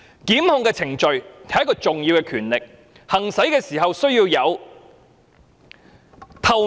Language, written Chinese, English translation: Cantonese, 檢控決定是一種重要的權力，行使時須確保高度透明。, The power to make prosecutorial decisions is important and a high degree of transparency must be ensured when the power is exercised